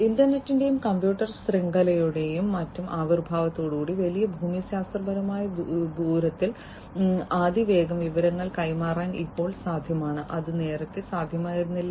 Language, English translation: Malayalam, So, now with the advent of the internet and the computer networks and so on, now it is possible to rapidly in to exchange information rapidly over large geographical distance and that was not possible earlier